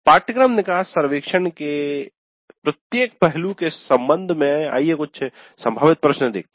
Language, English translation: Hindi, Then with respect to each aspect of the course exit survey, some of the possible questions let us see